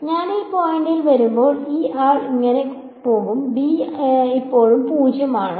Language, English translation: Malayalam, So, this guy will go like this when I come to this point b is still 0